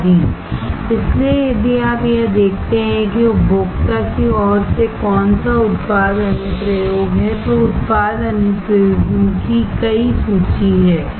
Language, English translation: Hindi, So, if you see it what product application from consumer side is, there are several list of product applications